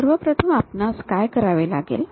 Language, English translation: Marathi, First thing, what we have to do